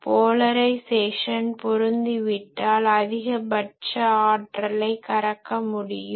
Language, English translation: Tamil, If polarisation is match then there will be maximum power can be extracted